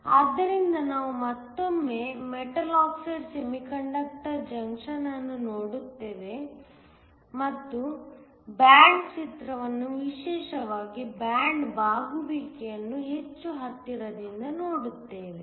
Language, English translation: Kannada, So, we will again look at the metal oxide semiconductor junction and look more closely at the band picture especially, band bending